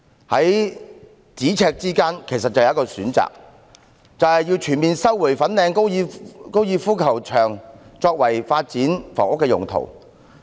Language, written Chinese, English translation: Cantonese, 在咫尺之間其實已有一項選擇，就是全面收回粉嶺高爾夫球場作發展房屋用途。, Actually just around the corner there is already an option ie . full resumption of the Fanling golf course FGC for the purpose of housing development